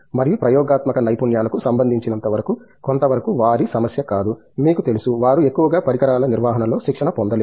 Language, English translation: Telugu, And, as far as experimental skills are concerned, partly because of not their problem, you know, they are mostly not trained in handling equipment's